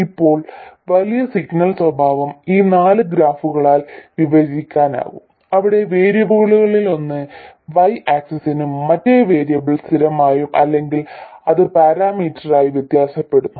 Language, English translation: Malayalam, Now, the large signal characteristics can be described by these four graphs where one of the variables is on the x axis and the other variable is fixed or it is varied as a parameter